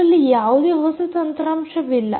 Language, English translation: Kannada, there is nothing new hardware